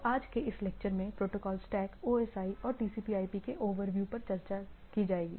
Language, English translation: Hindi, So, today will be discussing on in this lecture Protocol Stack or a overview of the protocol stack OSI and TCP/IP; this two protocol stack